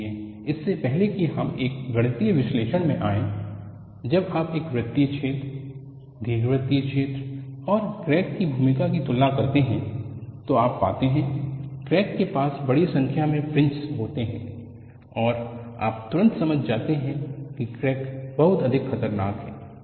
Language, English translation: Hindi, So, before we get into a mathematical analysis, when you compare the role of a circular hole, elliptical hole, and crack, you find the crack has the large number of fringes, and you can immediately get an understanding that crack is lot more dangerous